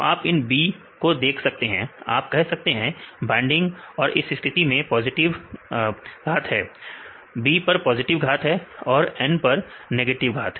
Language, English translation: Hindi, So, you can see B’s, you can say binding and this case a power positive; B is a power positive and N is negative